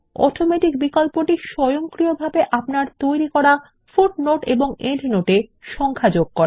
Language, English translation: Bengali, The Automatic option automatically assigns consecutive numbers to the footnotes or endnotes that you insert